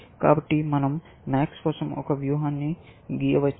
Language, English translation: Telugu, So, we can draw a strategy for max